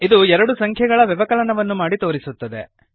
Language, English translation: Kannada, This will perform subtraction of two numbers